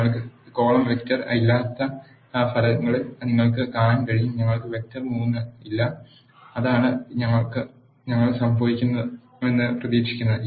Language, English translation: Malayalam, You can see in the results we do not have the column vector one and we do not have vector 3 which is what we expected to happen